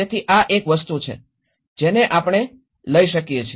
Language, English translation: Gujarati, So this is one thing, which we have taking away